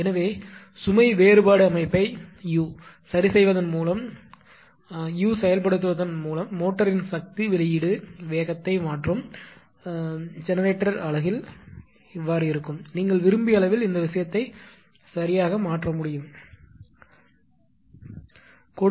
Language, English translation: Tamil, So, therefore, by adjusting the load difference setting that U right, through actuation of the speed changer motor the power output generator unit at, it you know at a desired level I mean this thing can be changed right